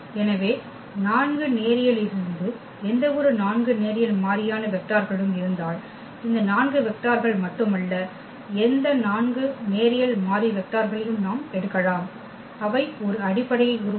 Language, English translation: Tamil, So, if we have 4 linearly any 4 linearly independent vectors from R 4 not only this 4 vectors we can pick any 4 linearly independent vectors that will form a basis